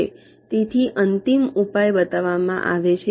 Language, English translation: Gujarati, so the final solution is shown